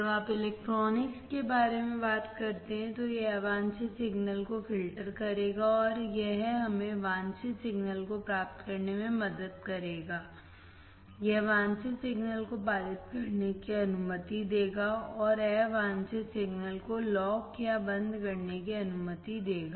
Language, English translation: Hindi, So, it will filter out the unwanted signals when you talk about electronics, and it will help us to get the wanted signals, it will allow the wanted signal to pass, and unwanted signal to lock or stop